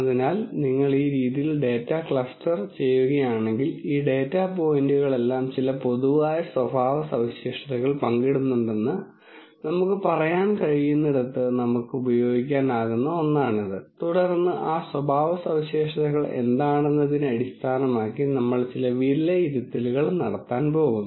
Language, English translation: Malayalam, So, if you cluster the data this way then it is something that we can use where we could say look all of these data points share certain common characteristics and then we are going to make some judgments based on what those characteristics are